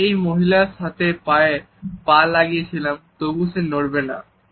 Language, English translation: Bengali, I went toe to toe with this woman and she would not budge